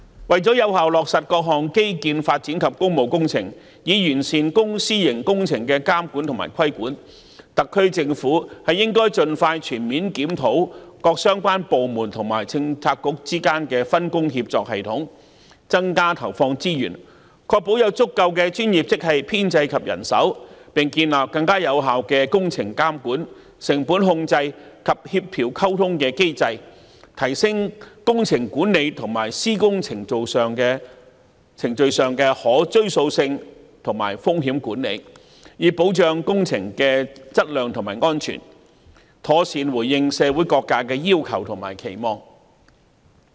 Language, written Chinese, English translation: Cantonese, 為了有效落實各項基建發展及工務工程，以完善公、私營工程的監管和規管，特區政府應該盡快全面檢討各相關部門和政策局之間的分工協作系統，增加投放資源，確保有足夠的專業職系編制及人手，並建立更有效的工程監管、成本控制及協調溝通的機制，提升工程管理和施工程序上的可追溯性和風險管理，以保障工程的質量及安全，妥善回應社會各界的要求和期望。, To effectively implement various infrastructural development and public works projects so as to perfect the monitoring and regulation of public - private works projects the SAR Government should expeditiously and comprehensively review the division of labour among related departments and Policy Bureaux and their cooperation system . It should also increase resources deployment to ensure a sufficiently large professional - grade establishment and manpower are available and more effective mechanisms on works project monitoring costs control and coordination and communication are established to enhance engineering management and the traceability and risk management of construction procedures with a view to protecting the quality and safety of works project and properly responding to the aspirations and expectations of different sectors of society